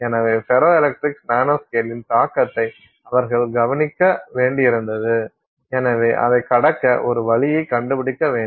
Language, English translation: Tamil, So, to overcome that they had to look at the effect of the nanoscale on the ferroelectrics and therefore figure out a way to overcome it